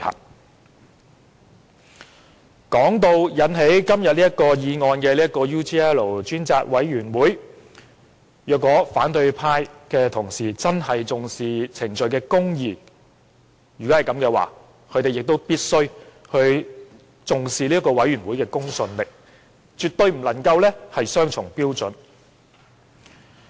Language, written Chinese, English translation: Cantonese, 就今天這項議案所涉及的專責委員會而言，如果反對派同事真的重視程序公義，他們亦必須重視專責委員會的公信力，絕不能有雙重標準。, Regarding the Select Committee involved in todays motion if colleagues from the opposition camp do attach importance to procedural justice they must also value the credibility of the Select Committee and should not have double standard